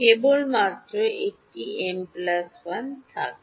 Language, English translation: Bengali, There will only be a m plus 1